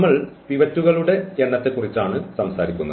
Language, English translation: Malayalam, So, we are talking about the number of pivots